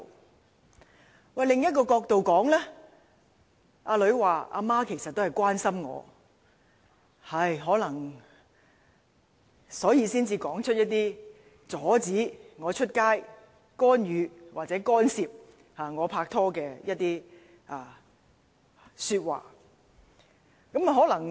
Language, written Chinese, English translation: Cantonese, 但是，從另一角度看這件事，女兒可能會說母親其實是關心她，所以才說出那些阻止她出街、干預或干涉她拍拖的說話。, But then looking at it from another angle the daughter may say that her mother uttered those words about forbidding her to go out and interfering or intervening in her courtship because her mother actually cared about her